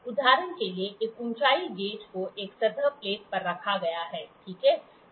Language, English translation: Hindi, For example, a height gauge is placed on a surface plate, ok